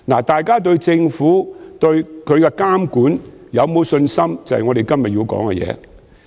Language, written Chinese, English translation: Cantonese, 大家對政府和其監管有否信心，便是我們今天要討論的議題。, Whether people have confidence in the Government and its monitoring is precisely the issue that we must discuss today